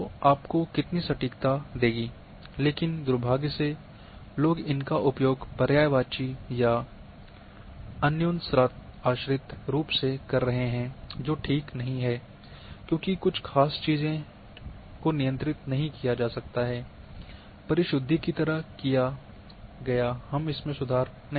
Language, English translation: Hindi, So, that will give you how much accurately, but unfortunately thinks people have been using synonymously or interchangeably which is enabled, which is not correct certain things can be controlled like precision we cannot improve